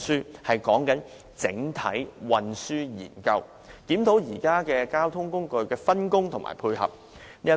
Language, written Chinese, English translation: Cantonese, 我所說的是"整體"運輸研究，檢討現時交通工具的分工和配合。, By this I expect a transport study which reviews the overall combination and synergy among various means of transport